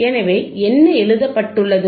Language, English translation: Tamil, So, what is ray written